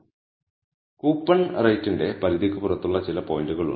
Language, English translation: Malayalam, Now there are some points which are completely outside the range of coupon rate